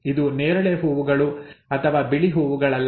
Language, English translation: Kannada, It is not either purple flowers or white flowers, okay